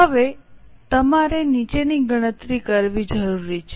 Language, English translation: Gujarati, Now you are required to compute following